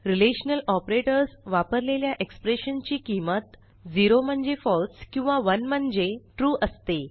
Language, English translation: Marathi, Expressions using relational operators return 0 for false and 1 for true